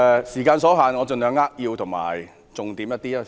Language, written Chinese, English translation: Cantonese, 時間所限，我盡量扼要就重點發言。, Due to time constraint I will try to speak briefly on the key points